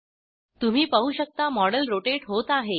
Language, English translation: Marathi, We can see that the model is spinning on the panel